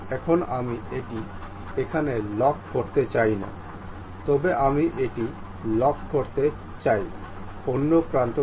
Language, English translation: Bengali, Now, I do not want to really lock it here, but I want to lock it on the other side